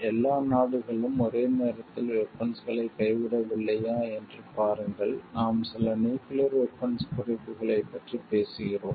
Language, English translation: Tamil, See if all the countries are not giving up the weapons at the same point of time and, we are talking of like to some nuclear disarmament